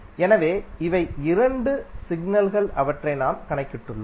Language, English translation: Tamil, So these are the two signals which we have computed